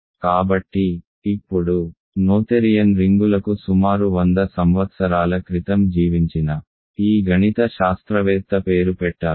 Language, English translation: Telugu, So, now, noetherian rings are named after this mathematician who lived about 100 years ago ok